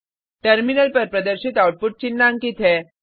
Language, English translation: Hindi, The output displayed on the terminal is as highlighted